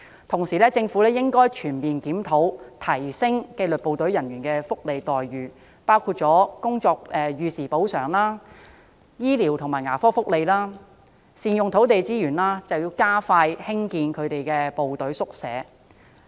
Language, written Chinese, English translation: Cantonese, 同時，政府應該全面檢討並提升紀律部隊人員的福利待遇，包括逾時工作補償、醫療和牙科福利，以及善用土地資源加快興建紀律部隊宿舍。, At the same time the Government should conduct a comprehensive review on and improve the remuneration packages of all discipline services personnel including overtime allowances and medical and dental benefits . It should also use land resources properly to speed up the construction of disciplined services quarters